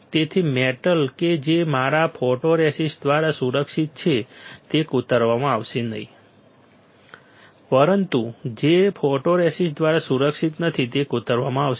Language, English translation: Gujarati, So, metal which is protected by my photoresist will not get etched, but metal which is not protected by my photoresist will get etched